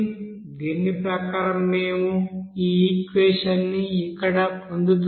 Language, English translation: Telugu, So we are getting this you know equation here as per this